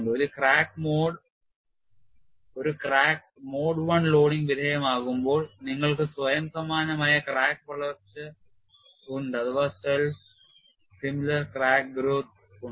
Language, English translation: Malayalam, When a crack is subjected to mode one loading, you have self similar crack growth